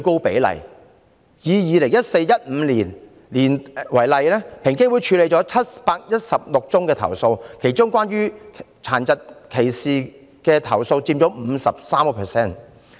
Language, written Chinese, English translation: Cantonese, 以 2014-2015 年度為例，平機會處理了716宗投訴，其中涉及殘疾歧視的投訴佔 53%。, For example in 2014 - 2015 EOC handled 716 complaints of discrimination among which 53 % are related to disability discrimination